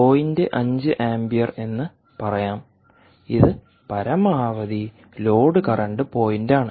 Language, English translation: Malayalam, let us say your point five amps, which is the maximum load current point, comes here